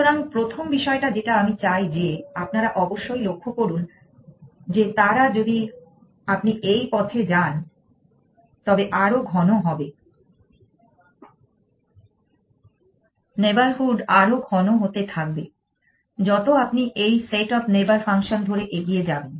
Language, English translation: Bengali, So, the first thing I want you to observe is that they are if you go down this path they are more dense the neighborhood is more bun dense as you go down this set of neighborhood function